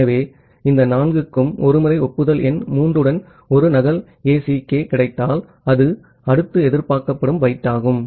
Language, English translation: Tamil, So, once this four is received a duplicate ACK with acknowledgement number 3 that is the next expected byte it is forwarded